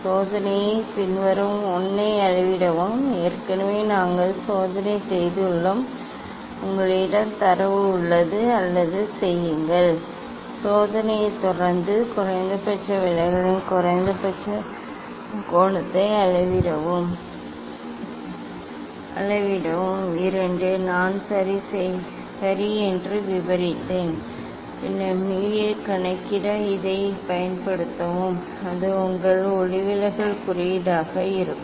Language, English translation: Tamil, measure a following the experiment 1 already we have done the experiment, you have data or do it, measure the minimum angle of minimum deviation following the experiment 2 just I described ok, then use this to calculate mu, that will be your refractive index